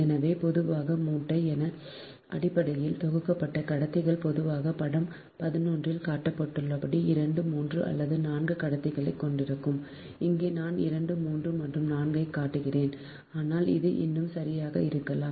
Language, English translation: Tamil, so generally the bundle, so basically bundled conductors, usually comprises two, three or four conductors, as shown in figure eleven right here i am showing two, three or four, but it maybe more also, right